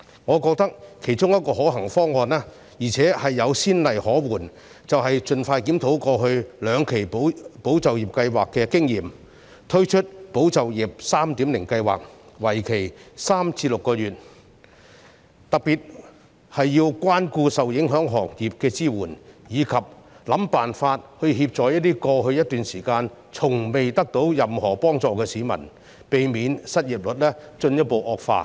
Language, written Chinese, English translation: Cantonese, 我覺得其中一個可行方案——而且有先例可援——便是盡快檢討過去兩期"保就業"計劃的經驗，推出"保就業 3.0" 計劃，為期3至6個月，特別需要關顧受影響行業的支援，以及設法協助在過去一段時間從未獲得任何幫助的市民，避免失業率進一步惡化。, In my view one of the feasible options with precedents is to review the experience of the two previous tranches of ESS as soon as possible and launch the ESS 3.0 . This new scheme should last for three to six months paying particular attention to the support for affected trades and industries and identifying ways to help members of the public who have never received any assistance so far in order to prevent the further worsening of the unemployment rate